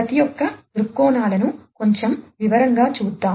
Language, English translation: Telugu, So, let us look at each of these viewpoints in a little bit further detail